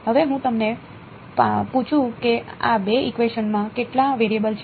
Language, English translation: Gujarati, Now, let me ask you how many variables are there in these 2 equations